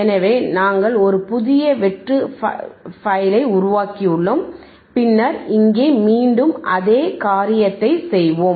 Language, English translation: Tamil, So, we have we have created a new file a blank file and then here we will again do the same thing